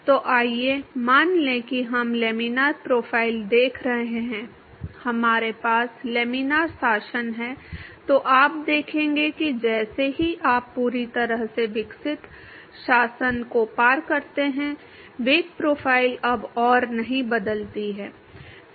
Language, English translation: Hindi, So, let us assume that we are looking at laminar profile we have laminar regime then you will see that as soon as you cross the fully developed regime the velocity profile does not change anymore